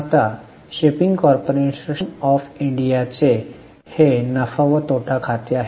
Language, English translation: Marathi, Now this is a profit and loss account of shipping corporation of India